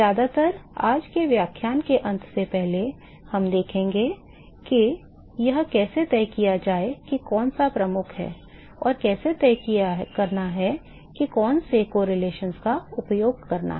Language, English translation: Hindi, We will see that mostly before the end of today’s lecture as to how to decide which one is dominant, and how to decide particularly which correlations to use ok